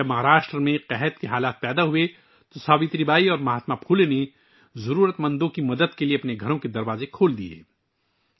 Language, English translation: Urdu, When a famine struck in Maharashtra, Savitribai and Mahatma Phule opened the doors of their homes to help the needy